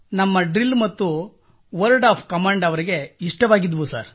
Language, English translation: Kannada, They admired our Drill & word of command, sir